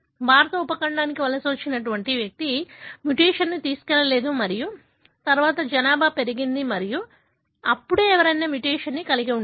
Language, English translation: Telugu, The individual who migrated to the Indian subcontinent did not carry the mutation and then the population grew and that is when somebody probably, , had a mutation